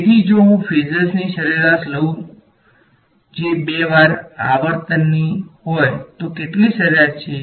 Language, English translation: Gujarati, So, if I take the average of phasors that is oscillating at twice the frequency has how much average